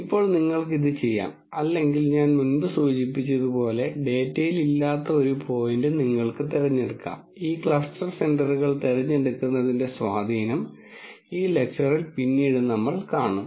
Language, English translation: Malayalam, Now, you could do this or like I mentioned before you could pick a point which is not there in the data also and we will see the impact of choosing this cluster centres later in this lecture